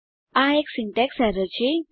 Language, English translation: Gujarati, This is a syntax error